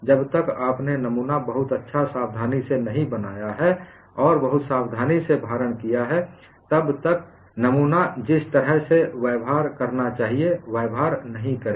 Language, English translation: Hindi, Unless you have made the specimen very, very carefully and also applied the load very carefully, the specimen will not behave the way it should behave